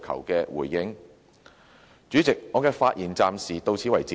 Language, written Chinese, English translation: Cantonese, 代理主席，我的發言暫時到此。, Deputy President I will stop here for the time being